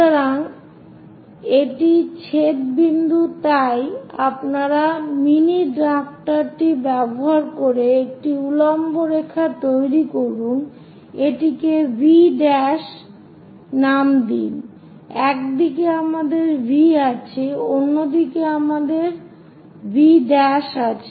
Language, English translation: Bengali, So, this is the intersection point So, use your mini drafter construct a vertical line perpendicular thing thus name it V prime, on one side we have V, on other side we have V prime